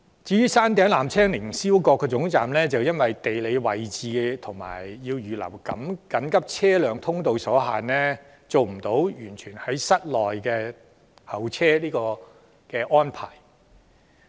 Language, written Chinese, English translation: Cantonese, 至於山頂凌霄閣的纜車總站，由於其地理位置所限及須預留緊急車輛通道，便無法安排乘客在室內候車。, As for the Upper Terminus at the Peak Tower due to geographical constraints and the need to provide an emergency vehicle access it is not feasible to equip the place with covered waiting facilities